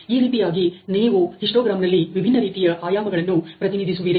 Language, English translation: Kannada, So, that is how you represent in histogram the different dimensions